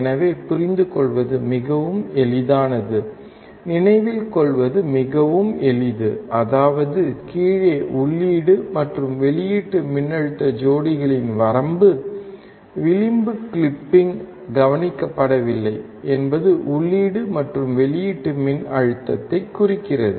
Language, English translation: Tamil, So, it is so easy to understand, so easy to remember; that means, that the range of input and output voltage pairs below, the edge clipping is not observed represents the input and output voltage